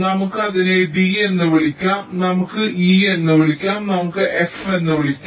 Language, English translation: Malayalam, lets call it d, lets call it e, lets call it f